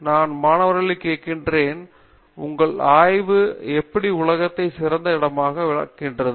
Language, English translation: Tamil, I ask students, how is your thesis going to make the world a better place